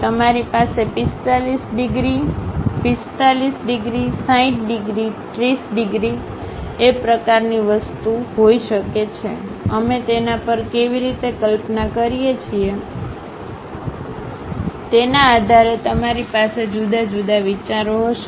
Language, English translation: Gujarati, You can have 45 degrees, 45 degrees, 60 degrees, 30 degrees kind of thing; based on how we are visualizing that, you will have different kind of views